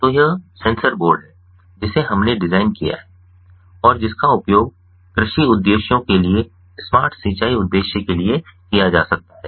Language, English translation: Hindi, so this is the, the censor board that we have designed and which can be used for agricultural purposes, smart irrigation purpose